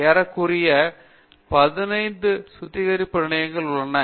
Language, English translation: Tamil, Nearly 15 refineries are there and all those things